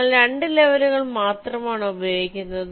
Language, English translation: Malayalam, we are using only two levels